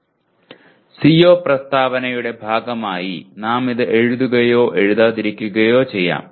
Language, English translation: Malayalam, We may or may not write this as a part of the CO statement